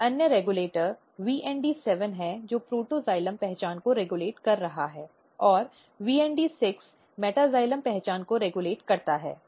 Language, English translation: Hindi, Another regulators which is VND7 which is regulating again protoxylem identity VND7 regulating metaxylem identity